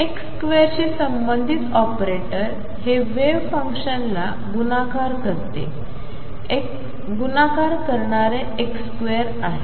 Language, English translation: Marathi, Operator corresponding to x square was nothing but x square multiplying the wave function